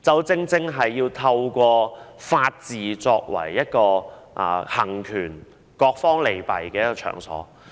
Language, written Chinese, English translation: Cantonese, 正正便是透過法治來作為權衡各方利弊。, It is through the rule of law that the pros and cons are balanced on various fronts